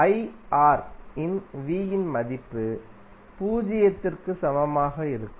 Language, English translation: Tamil, The value of V that is I R will be equal to zero